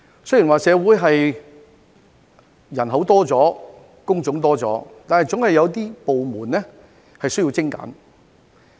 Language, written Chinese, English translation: Cantonese, 雖然社會人口增多了、工種增多了，但總有一些部門需要精簡。, Despite increases in population and job variety in society there are always some departments that need to be streamlined